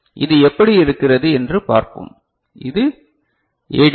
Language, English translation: Tamil, And so let us see, how it is looks like, so this is the ADC right